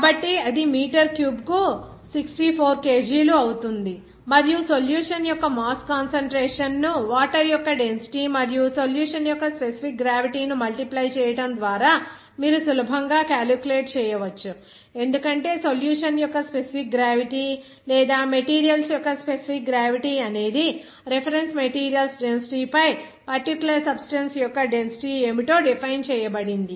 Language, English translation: Telugu, Then it will become 64 kg per meter cube and what from the mass concentration of the solution, that you can calculate easily just by multiplying the density of water and the specific gravity of the solution because specific gravity of the solution or specific gravity of the materials is defined as what is that density of that particular substance upon what is that reference materials density